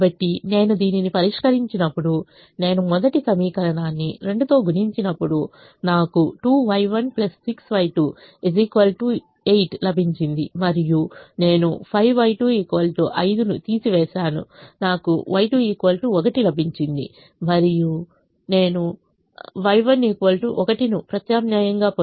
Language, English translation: Telugu, so when i solve for this, when i multiply the first equation by two, i will get two, y one plus six, y two is equal to eight, and i subtract five, y two is equal to five, i will get y two equal to one and i'll substitute to get y one equal to one, so i get y one equal to one, y two equal to one